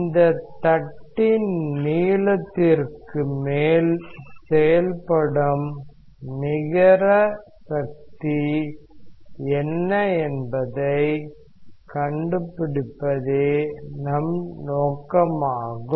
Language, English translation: Tamil, And our objective is to find out what is that net force acting over this length l